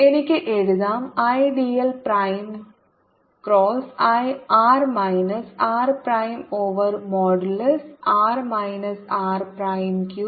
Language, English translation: Malayalam, if there's a current i, i can even write i d l prime cross r minus r prime over modulus r minus r prime cubed